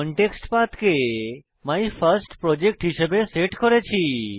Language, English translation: Bengali, We had set the ContextPath as MyFirstProject itself